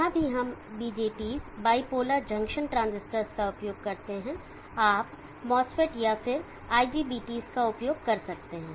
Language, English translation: Hindi, Wherever are we used BJTs bipolar junction transistors you can use masters even IGBTs